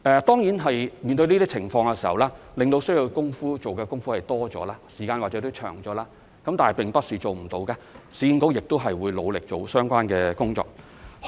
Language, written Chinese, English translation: Cantonese, 當然，市建局面對這些情況，需要做的工夫會多了，時間或許也會長了，但並不是做不到，市建局亦會努力做好相關的工作。, But certainly URA will have to do extra work in handling these cases and the time required may be longer but it is not unachievable . URA will strive to handle these cases properly